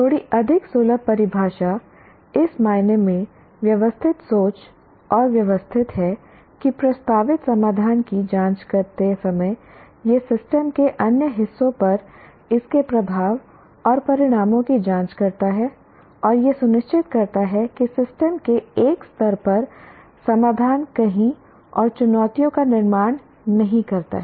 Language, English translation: Hindi, Critical thinking is systematic and holistic in the sense that while examining a proposed solution, it examines its impact and consequences on other parts of the system, thus ensuring that a solution at one level of the system does not create challenges and difficulties somewhere else